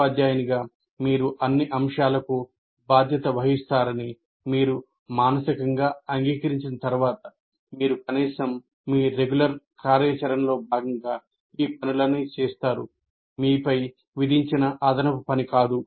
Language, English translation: Telugu, So once you mentally accept that as a teacher you are responsible for all aspects, then you will at least do all this work, at least as a part of your normal activity, not something that is extra that is imposed on you